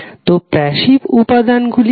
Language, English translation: Bengali, So, what are those passive elements